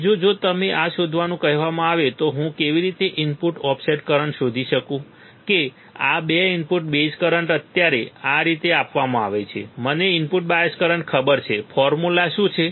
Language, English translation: Gujarati, Second input offset current if I am asked to find this how can I find this the 2 input base currents are given like this right now I know input bias current what is the formula